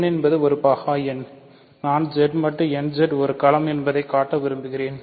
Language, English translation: Tamil, So, n is a prime number I want to show that Z mod nZ bar Z mod nZ is a field